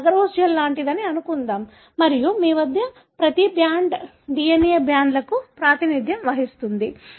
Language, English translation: Telugu, Let’s assume it is something like agarose gel and you have each band representing the DNA band